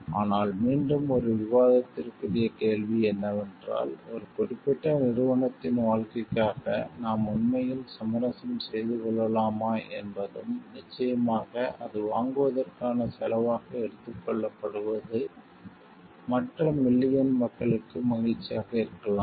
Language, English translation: Tamil, But again debatable question is can we really compromise for the life of a particular entity and, like sure and then it is taken as a cost for the buying the may be happiness for other million